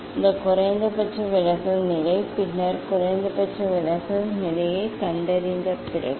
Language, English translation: Tamil, that is the minimum deviation position and then after finding out the minimum deviation position